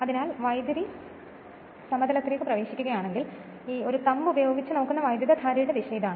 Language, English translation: Malayalam, So, if the current is entering into the plane that this is the direction of the current thumb looked at by thumb